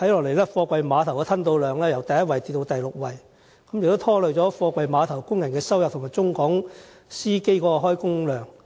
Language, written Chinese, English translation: Cantonese, 可是，貨櫃碼頭的吞吐量現時已由第一位下跌至第六位，拖累貨櫃碼頭工人的收入，以及中港司機的工作量。, However our ranking of container port throughput has dropped from the first to the sixth now affecting the income of container port workers and the job orders of cross - border drivers